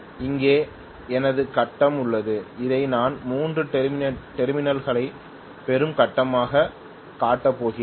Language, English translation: Tamil, Here is my grid, I am going to show this as the grid from which I am also getting 3 terminals